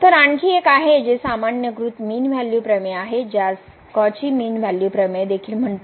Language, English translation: Marathi, So, there is another one the generalized mean value theorem which is also called the Cauchy mean value theorem